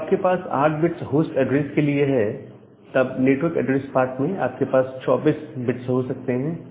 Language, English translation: Hindi, So, whenever you have a 8 bit of host address in the network address part, you can have 32 bit